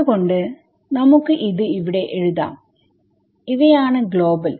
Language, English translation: Malayalam, So, let us write this over here these are global yeah